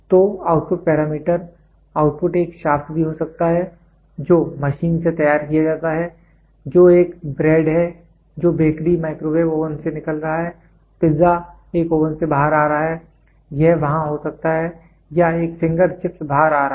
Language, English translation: Hindi, So, the output parameter, the output can be even a shaft which is machined the product which comes out of a bread which is coming out of a bakery microwave oven, pizza coming out of an oven, it can be there or a finger chips coming out